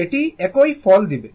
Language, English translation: Bengali, It will give you the same result